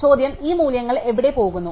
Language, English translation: Malayalam, The question is, where these values go, right